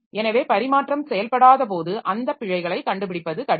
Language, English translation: Tamil, So when the exchange is not operating, so it is difficult to catch those errors